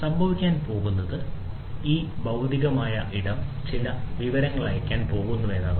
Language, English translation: Malayalam, So, what is going to happen is this physical space is going to send some information